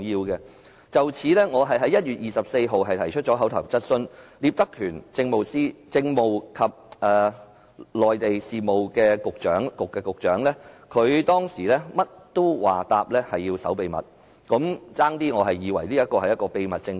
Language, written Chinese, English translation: Cantonese, 對於此事，我在1月24日提出口頭質詢，當時負責答覆的政制及內地事務局局長聶德權，甚麼都答說要守秘密，我差點以為這是一個秘密政府。, On that score I asked an oral question on 24 January . Patrick NIP the Secretary for Constitutional and Mainland Affairs who answered my question told us that everything had to be kept secret . I almost thought that our Government was a secret Government